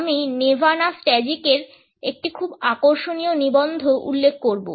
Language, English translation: Bengali, I would refer to a very interesting article by Nevana Stajcic